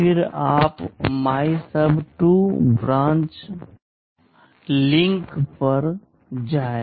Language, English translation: Hindi, Then you branch to MYSUB2 branch and link